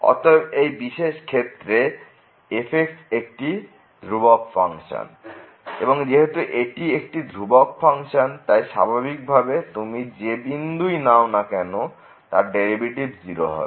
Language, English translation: Bengali, So, in this particular case is the constant function, and since is the constant function naturally whatever point you take the derivative is going to be